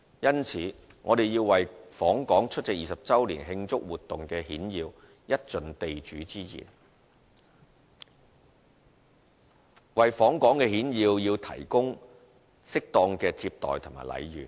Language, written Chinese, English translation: Cantonese, 因此，我們要為訪港出席20周年慶祝活動的顯要一盡地主之誼，為訪港顯要提供適當的接待和禮遇。, Therefore we have to extend the hand of hospitality to those dignitaries who come to Hong Kong to attend the celebratory activities for the 20 anniversary by providing appropriate reception and treatment to them